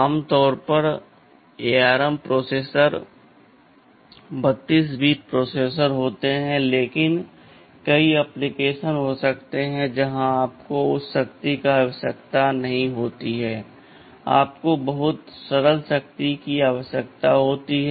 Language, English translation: Hindi, Normally ARM processors are 32 bit processors, but there may be many application where you do not need that power, you need much simpler power